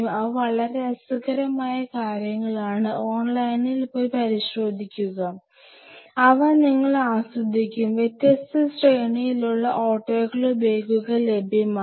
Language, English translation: Malayalam, They are really very interesting stuff explore it online go online and check it out, you will you will really enjoy seeing them there are whole different range of autoclave bags which are available, will have this autoclave bag